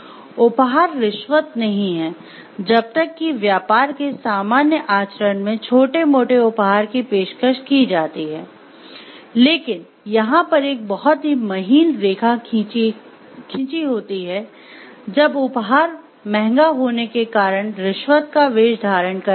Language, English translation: Hindi, Gifts are not bribes, as long as there are small gratuities offered in normal conduct of business, but offer this thread is a very narrow lying over here and sometimes gifts are become, so like costly that it becomes bribes in disguise